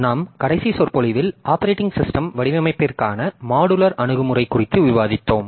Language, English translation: Tamil, In our last lecture we are discussing on modular approach for operating system design